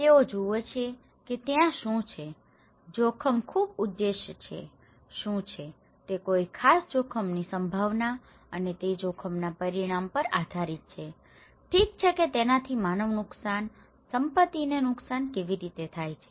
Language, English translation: Gujarati, They see what is there so, risk is very objective, what is; it depends on the probability of a particular hazard and the consequence of that hazard, okay that how it would cause human losses, property damage